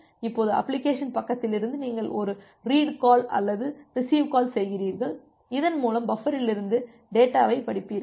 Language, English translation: Tamil, Now from the application side you make a read call or a receive call which you through which you will read the data from this buffer